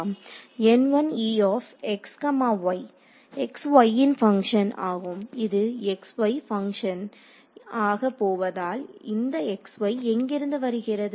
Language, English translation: Tamil, It is going to be a function of x y because whereas, where is the x y going to come from